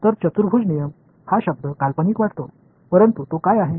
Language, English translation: Marathi, So, the word quadrature rules sounds fancy, but what is it